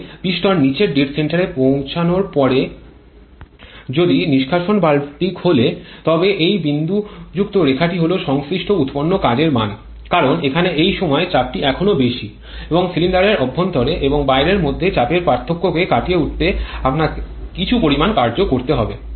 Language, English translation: Bengali, But if the exhaust valve is open at the bottom at after the piston reaches the bottom dead center then this dotted line is the corresponding work output, because here the pressure at this point is still higher and you have to lose a significant amount of work to overcome this amount of pressure difference between the in cylinder in interior and the outside